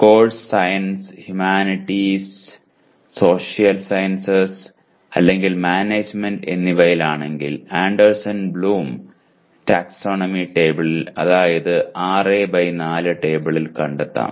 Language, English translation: Malayalam, If the course belongs to sciences, humanities, social sciences or management locate COs in Anderson Bloom taxonomy table that is 6 by 4 table